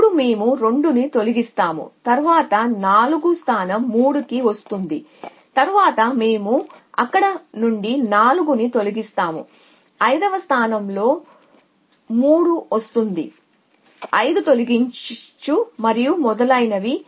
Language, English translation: Telugu, Essentially we have all 1 to 9 so 2 is in position to here so with 8 then we remove to then 4 comes to position 3 then we remove 4 from their 5 comes in position 3 remove 5 and so on 1 we get this 2